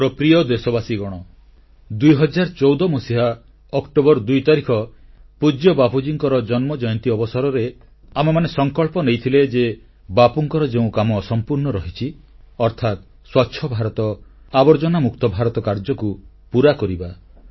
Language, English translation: Odia, My dear countrymen, all of us made a resolve on Bapu's birth anniversary on October 2, 2014 to take forward Bapu's unfinished task of building a 'Clean India' and 'a filth free India'